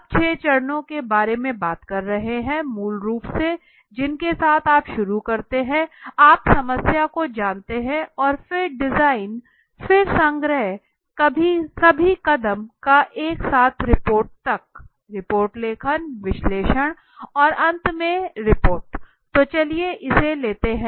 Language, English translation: Hindi, Now what six steps are we talking about the six steps that we are talking about are basically are basically of which starts with the you know problem right and it in between you have the design right then collection all this steps together till the report, report writing analysis and the finally the report okay, so let us take a this